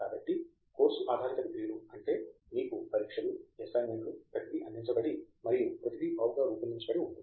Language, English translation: Telugu, So, a course based degrees is where you know the exams, the assignments everything is sort of catered and everything is well designed